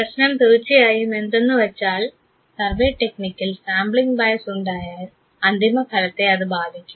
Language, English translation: Malayalam, The problem of course, with the survey technique is that sampling bias sometime can skew the result